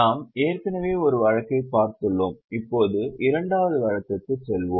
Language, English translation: Tamil, We have already done one case, now we will go for the second case